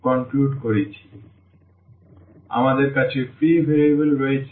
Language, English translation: Bengali, So, we have the free variable